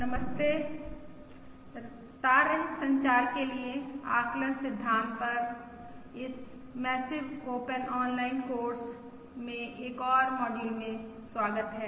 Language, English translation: Hindi, Hello, welcome to another module in this massive open online course on estimation for wireless communications